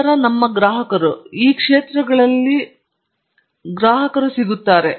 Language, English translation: Kannada, Then this is our clients; we have got clients in all sectors